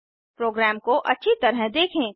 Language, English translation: Hindi, Let us go through the program